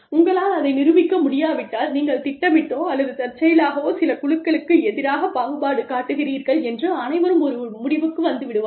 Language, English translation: Tamil, If you cannot demonstrate that, then you have intentionally, or unintentionally, ended up discriminating against, certain groups of people